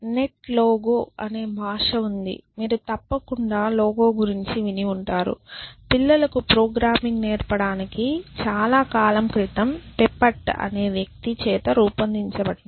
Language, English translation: Telugu, So, I would there is a language called net logo so you must have heard about logo of course, devise by paper long time ago to teach programming to children